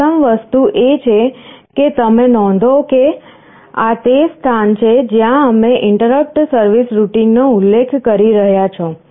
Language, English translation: Gujarati, First thing is that you note this is the place where we are specifying the interrupt service routine